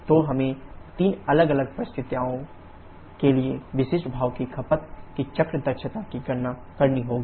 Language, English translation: Hindi, So, we have to calculate the cycle efficiency of specific steam consumption for three different conditions